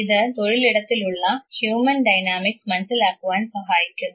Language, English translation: Malayalam, And this in turn will facilitate understanding of the human dynamics at workplace